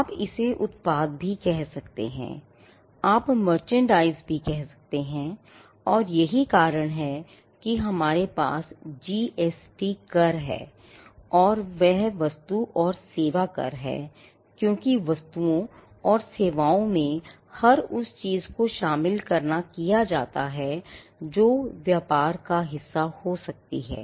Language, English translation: Hindi, Now, you could also say products, you could say a merchandise, but largely this comprises and that is the reason we have the GST tax; that is goods and services tax because, the goods and services is understood to encompass everything, that can be a part of trade